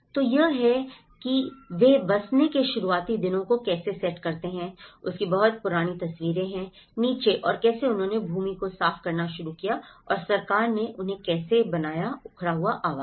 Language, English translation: Hindi, So, this is how the very old photographs of how they set up the initial days of the settling down and how they started clearing the land and how the government have built them thatched housing